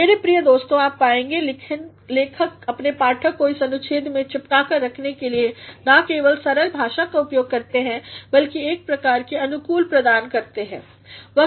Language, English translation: Hindi, My dear friends, you will find the writer in order to make his reader glued to this paragraph uses not only the simple language, but he provides a sort of coherence